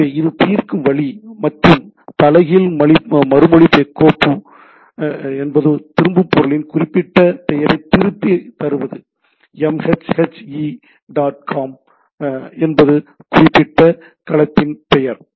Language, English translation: Tamil, So, this is the way it resolve and inverse response file is return the particular name of the thing which is return it is m h h e dot com is the name of the particular domain